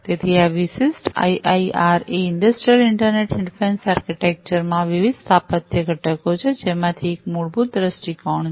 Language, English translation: Gujarati, So, this particular IIRA industrial internet difference architecture has different architectural components, one of which is basically the viewpoints